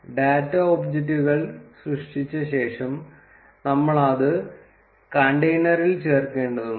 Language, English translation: Malayalam, After creating the data objects, we need to add it to the container